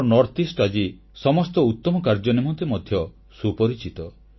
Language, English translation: Odia, Now our Northeast is also known for all best deeds